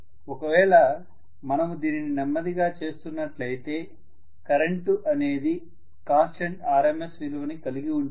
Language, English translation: Telugu, So yeah,ha ,if we are doing it slowly automatically the current will remain as a constant RMS value